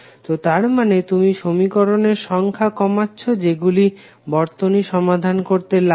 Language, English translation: Bengali, So it means that you can reduce the number of equations required to solve the circuit